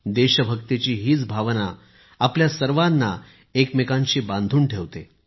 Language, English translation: Marathi, This feeling of patriotism unites all of us